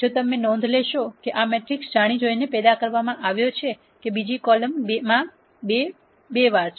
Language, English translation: Gujarati, If you notice this matrix has been deliberately generated such that the second column is twice column one